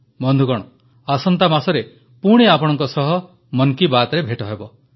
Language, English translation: Odia, Friends, we will speak again in next month's Mann Ki Baat